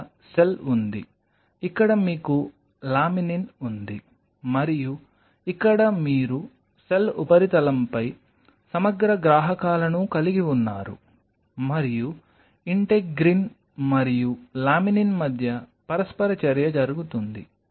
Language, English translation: Telugu, So, here is the cell, here you have laminin and here you have the integrin receptors present on the cell surface and the interaction between happens between integrin and laminin